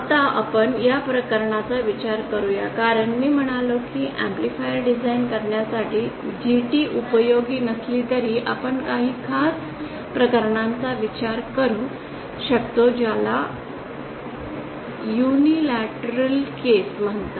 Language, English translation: Marathi, Now let us consider the case as I said even though GT is not useful for designing an amplifier we can consider some special cases one of them is what is known as the unilateral case